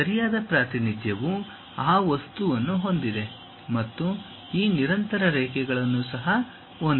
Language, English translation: Kannada, The right representation is having those thing and also having these continuous lines